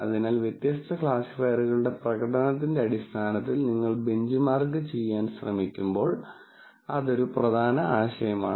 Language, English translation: Malayalam, So, that is a key idea, when you try to benchmark different classifiers in terms of their performance